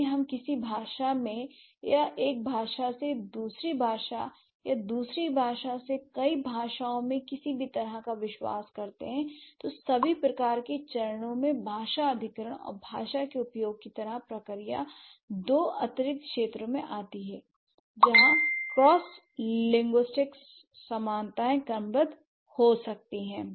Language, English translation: Hindi, So, when you say acquisition level, the child, so from the no language to language, from one language to the second and second to multiple languages, if you are a multilingual speaker, then this entire process of language acquisition and language use are the two new areas or the two additional areas where cross linguistic similarities may be sort from the typological perspective